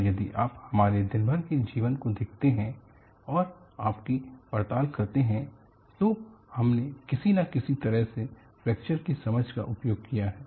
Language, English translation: Hindi, And if you look at and investigate many of our day to day living, we have applied the knowledge of understanding of fracture in some way or the other